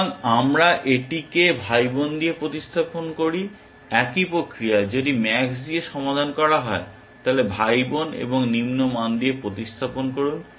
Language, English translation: Bengali, So, we replace this with the sibling, the same process if max is solved replace with sibling and lower value